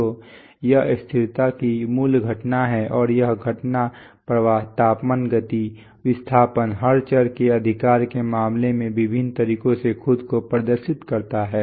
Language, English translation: Hindi, So this is the basic phenomenon of stability and this phenomenon demonstrates itself in various ways in case of flows, temperatures, motion, displacements every variable right